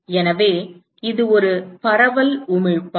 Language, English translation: Tamil, So, it is a diffuse emitter